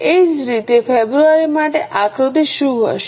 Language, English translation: Gujarati, Same way what will be the figure for February